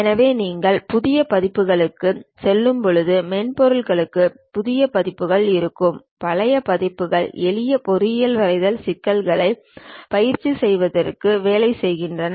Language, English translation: Tamil, So, when you are going for new versions, new updates will be there for the software still the older versions work for practicing the simple engineering drawing problems